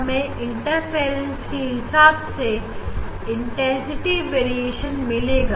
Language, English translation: Hindi, we will get the intensity variation due to interference